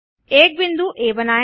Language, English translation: Hindi, Select point A